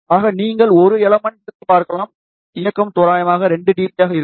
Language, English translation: Tamil, So, you can see for a single element, directivity will be approximately 2 dB